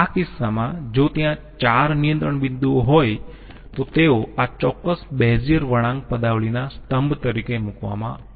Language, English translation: Gujarati, In this case if there are 4 Control points, they are put as a column for this particular Bezier curve expression